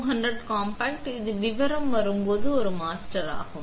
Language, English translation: Tamil, The MA200 compact is a master when it comes to detail